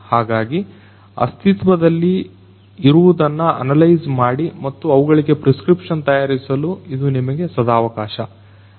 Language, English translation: Kannada, So, this is an opportunity for us to analyze what is existing and preparing a prescription for them, right